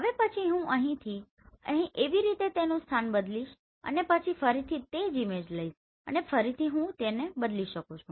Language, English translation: Gujarati, In the next one I will change the position from here to here and then I will capture the same object and again I can change